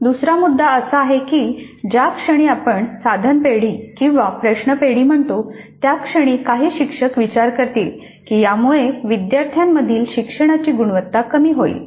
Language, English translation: Marathi, The second issue is that the moment we say item bank or question bank or anything like that, certain segment of the faculty might consider that this will dilute the quality of learning by the students